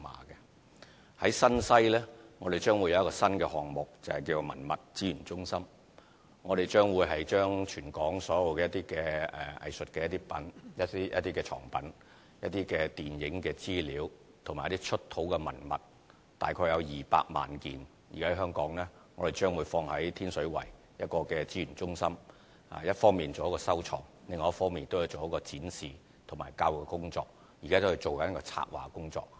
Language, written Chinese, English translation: Cantonese, 於新西，我們將有一個新項目，就是文物資源中心，我們將會把全港所有的藝術藏品、電影資料和出土文物，大約有200萬件，存放於天水圍的資源中心，一方面作收藏，另一方面作展示和教育工作，現正進行策劃的工作。, In New Territories West we are going to have a new project namely the Heritage Conservation and Resource Centre in Tin Shui Wai . We will use this Centre for the storage of all the art collections collection items of the Hong Kong Film Archive and archaeological finds of Hong Kong which will amount to nearly 2 million pieces . While it will be used for collection purpose it will also be used for display of collections and education purpose